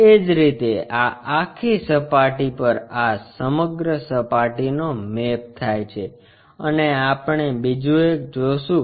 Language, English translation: Gujarati, Similarly, this the entire surface maps to this entire surface and we will see another one